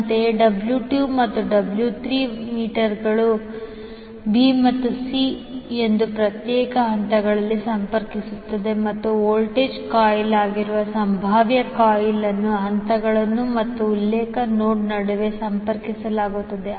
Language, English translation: Kannada, Similarly for W 2 and W 3 meters will connect them to individual phases that is b and c and the potential coil that is voltage coil will be connected between phases and the reference node